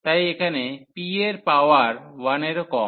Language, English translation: Bengali, So, here the p the power is less than 1